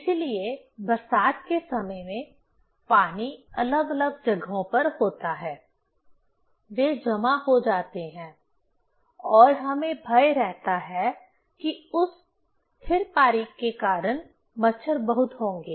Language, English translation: Hindi, That is why in rainy season time, water are in different places, they are stored and we are afraid that there will be lot of mosquito because of that stagnant water